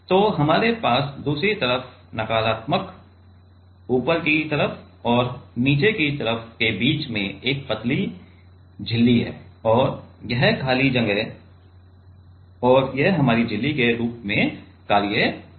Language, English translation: Hindi, So, we have a thin membrane in between the other side negative top side and the bottom side and this cavity right and this will act as our membrane